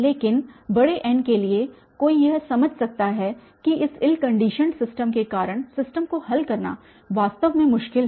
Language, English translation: Hindi, But for large n, one can understand that the system is actually difficult to solve because of this ill conditioned system